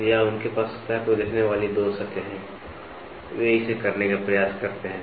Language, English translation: Hindi, So, or they have two surfaces looking at the surface, they try to do it